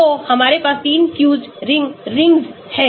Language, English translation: Hindi, so we have 3 fused rings rings